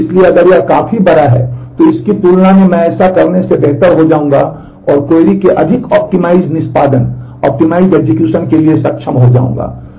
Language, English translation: Hindi, So, if this is large enough then compared to this then I will be better off by doing this and will be able to have a more optimized execution of the query